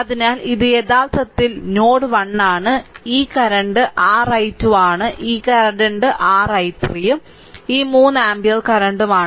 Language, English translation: Malayalam, So, this is actually node 1 this current is your i 2, this current is your i 3 and this 3 ampere current is this thing, right